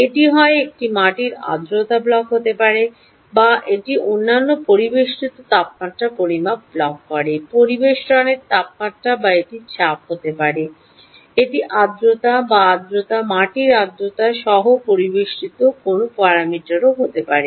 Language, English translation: Bengali, ok, it could either be a soil moisture block or it could be other ambient temperature measurement block, ambient temperature, or it could be pressure, it could be humidity or any one of the ambient parameters, including moist soil moisture